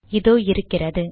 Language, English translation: Tamil, Here it is